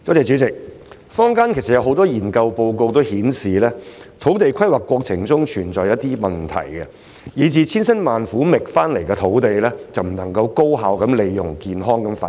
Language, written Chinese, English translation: Cantonese, 主席，坊間有很多研究報告均顯示，土地規劃過程中存在一些問題，以致千辛萬苦覓得的土地不能夠被高效利用及作健康發展。, President many researches conducted in the community found that there are problems in the land planning process resulting in sites identified with great difficulties cannot be used efficiently and developed healthily